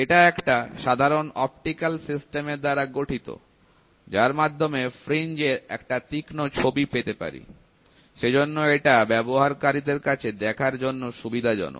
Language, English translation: Bengali, It comprises a simple optical system, which provides a sharp image of the fringes so that it is convenient for the user to view them